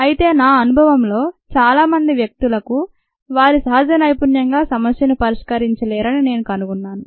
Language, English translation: Telugu, however, in my experience i found that most people do not have problem solving as that natural skill